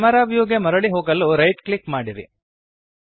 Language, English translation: Kannada, Right click to to go back to camera view